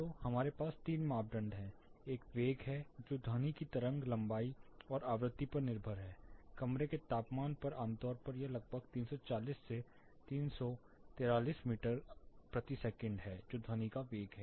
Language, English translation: Hindi, So, we have three parameters; one is a velocity which is dependent on the wave length and frequency of sound, at room temperature typically it is around 340 to 343 meter per second that is a velocity of sound